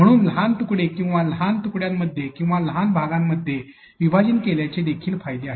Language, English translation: Marathi, Breaking there is, so into smaller pieces or smaller units or small chunks has advantages as well